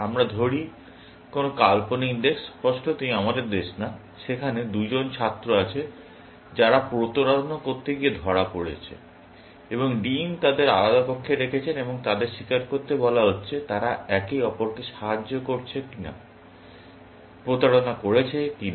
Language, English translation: Bengali, Let us say, some hypothetical country, obviously, not our country; there are two students who have been caught cheating, and the Dean has put them into separate rooms, and they are being asked to confess, whether they have helped each other, cheat or not